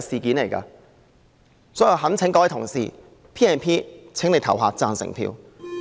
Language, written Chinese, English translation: Cantonese, 所以，我懇請各位同事就引用《條例》的議案投贊成票。, Hence I implore Honourable colleagues to vote for the motion on invoking PP Ordinance